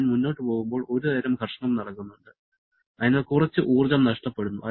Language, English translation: Malayalam, As I am moving forward there is some kind of rubbing of friction action that is taking place and because of which some energy is being lost